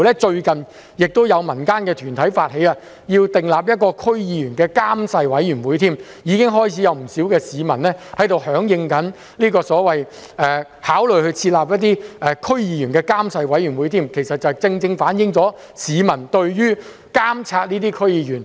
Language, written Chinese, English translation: Cantonese, 最近甚至有民間團體發起訂定關於區議員的監誓委員會，已經開始有不少市民響應考慮設立所謂的區議員監誓委員會，其實正正反映了市民對監察區議員撥亂反正的明確要求。, Recently some members of the public have already advocated the setting up of a committee to monitor how some District Council members will act according to their oath . The fact that many people have favourably responded to the setting up of such a committee shows their unequivocal demand for monitoring the performance of some District Council members with a view to bringing order out of chaos